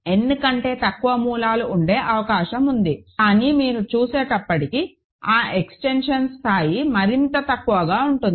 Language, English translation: Telugu, It is possible that there are less than n roots, but then that degree of the extension will be even smaller as you will see ok